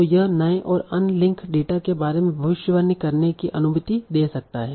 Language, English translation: Hindi, And so this can also allow prediction about new and all linked data